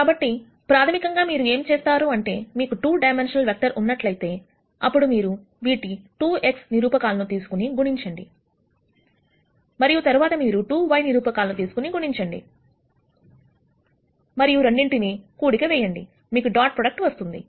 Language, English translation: Telugu, So, basically what you do is, if you have 2 dimensional vector then you take the 2 x coordinates multiply them, and then you take the 2 y coordinates and multiply them and add both of them you will get the dot product